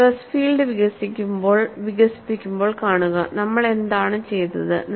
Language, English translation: Malayalam, See, while developing the stress field also, what we did